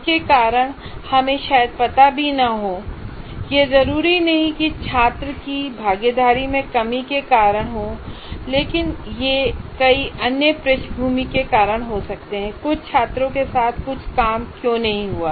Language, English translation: Hindi, It is not necessarily lack of participation by the student, but it can be a variety of other background reasons why something did not work with some students